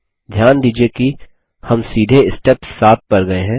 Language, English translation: Hindi, Please note that we have skipped to Step 7